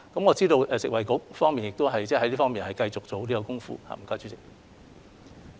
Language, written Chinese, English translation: Cantonese, 我知道食物及衞生局在這方面亦繼續下有關工夫。, I know the Food and Health Bureau has been making continuous efforts in this regard